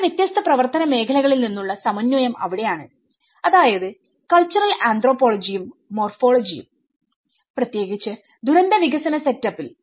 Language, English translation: Malayalam, So that is where it’s synthesis from two different domains of work that is the cultural anthropology and the morphology especially in the disaster and development set up